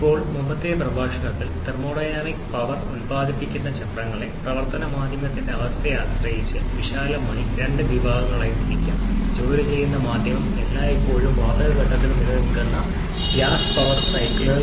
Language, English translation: Malayalam, Now, in the previous lecture, we have seen that thermodynamic power producing cycles can broadly be classified into two categories depending on the state of the working medium, the gas power cycles where the working medium always remains in the gaseous phase